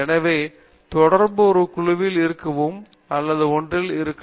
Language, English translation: Tamil, So the interaction could be in a group or could be one on one